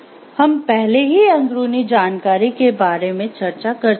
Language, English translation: Hindi, So, we have already discussed about insider information